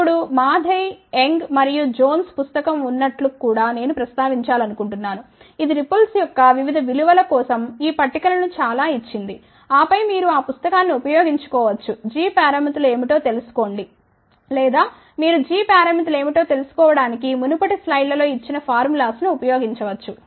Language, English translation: Telugu, Now, I just also want to mention that there is a book Mathai Young and Johns book which has given many of these tables for different values of ripple, ok and then either you can used that book took find out what are the g parameters or you can use the formulas given in the previous slides to find out what are g parameters, ok